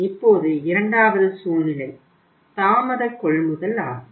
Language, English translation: Tamil, Now second case is delay purchases